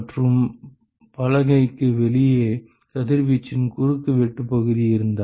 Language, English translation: Tamil, And, if the cross sectional area of radiation outside the board